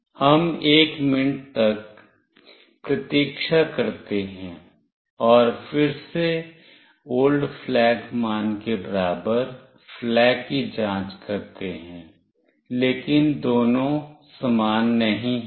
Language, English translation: Hindi, We wait for one minute, and again check flag not equal to old flag value, but no both are same